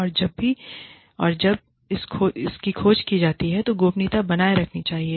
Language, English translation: Hindi, And whenever, if and when, this is discovered, confidentiality should be maintained